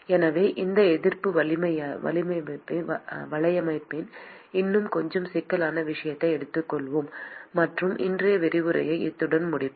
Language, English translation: Tamil, So, we will just take a little bit more complicated case of this resistance network; and we will finish with that for today’s lecture